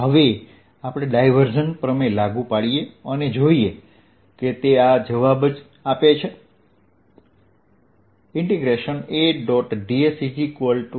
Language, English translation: Gujarati, let us now apply divergence theorem and see if this gives the same answer